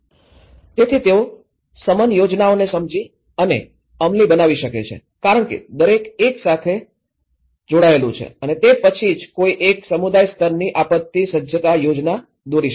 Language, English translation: Gujarati, So that, they can understand and implement mitigation plans because each one is connected to and then that is where one can end up draw a community level disaster preparedness plan